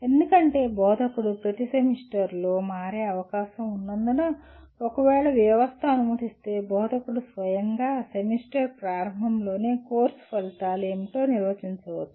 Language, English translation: Telugu, Because instructor may change from semester to semester and if the system permits instructor himself can define at the beginning of the semester what the course outcomes are